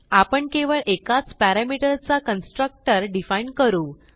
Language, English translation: Marathi, Let us first create a parameterized constructor